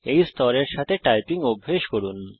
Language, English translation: Bengali, Practice typing with this level